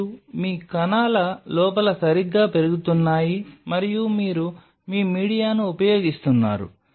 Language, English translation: Telugu, And inside your cells are growing right and your use your media